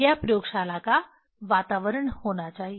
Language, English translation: Hindi, This should be the environment of the laboratory